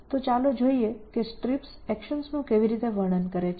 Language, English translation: Gujarati, So, let us look at how strips describes actions